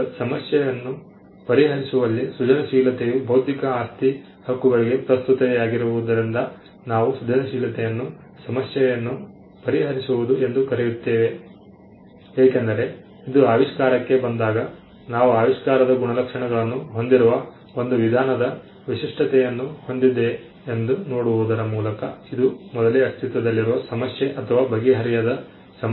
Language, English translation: Kannada, Now, creativity in solving a problem is again what we call creativity as problem solving as it is relevance to intellectual property rights, because when it comes to an invention one of the ways in which we attribute of invention has a unique is by looking at whether it is solved preexisting problem or an unsold problem